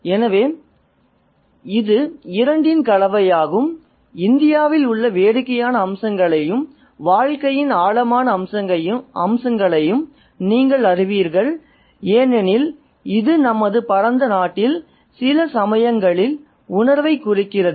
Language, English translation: Tamil, So, it's a combination of both the, you know, the funnier aspects as well as the profound aspects of life in India as it is significant of certain shades of feeling in our vast country